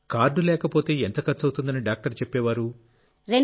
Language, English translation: Telugu, If there was no card, how much cost did the doctor say earlier